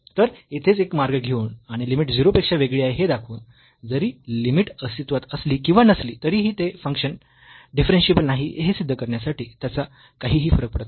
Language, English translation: Marathi, So, here itself by taking one path and showing the limit is different from 0 though the limit may exist or limit does not exist, it does not matter to prove that the function is not differentiable